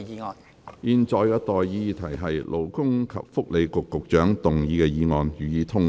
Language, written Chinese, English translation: Cantonese, 我現在向各位提出的待議議題是：勞工及福利局局長動議的議案，予以通過。, I now propose the question to you and that is That the motion moved by the Secretary for Labour and Welfare be passed